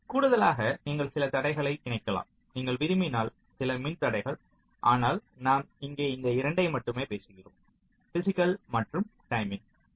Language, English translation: Tamil, so in addition, you can also incorporate some additional constraints, some electrical constraints if you want, but we only talk about these two here: physical and timing